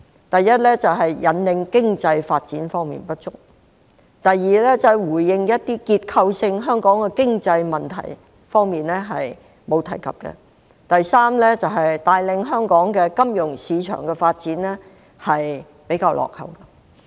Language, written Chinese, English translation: Cantonese, 第一，在引領經濟發展方面不足。第二，對於香港的結構性經濟問題，預算案中並無提及。第三，在帶領香港金融市場發展方面比較落後。, First it has not done enough to steer economic development; second it has not mentioned the structural problems of our economy; and third it lags behind in steering the development of Hong Kongs financial market